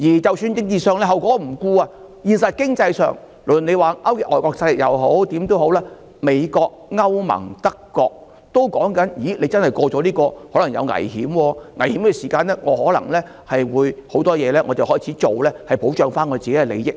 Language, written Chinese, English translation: Cantonese, 即使你不顧政治後果，在現實經濟上，無論你說勾結外國勢力或甚麼也好，美國、歐盟、德國都表示，如果通過法案，可能會有危險，在有危險的時候，他們便會做一些事情來保障自己的利益。, Even if you disregard the political consequences in reality and in economic terms no matter what you say about collusion with foreign forces or whatever the United States the European Union and Germany have all said that if the Bill is passed there may be risks and in that case they will do something to protect their own interests